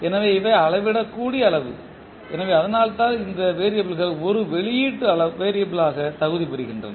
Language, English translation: Tamil, So, these are measurable quantity so that is way these variables can be qualified as an output variable